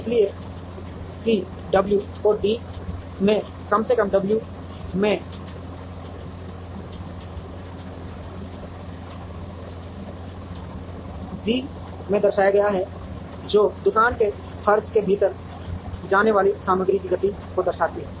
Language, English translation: Hindi, So, that the w into d is minimized w into d represents the amount of material movement that goes within the shop floor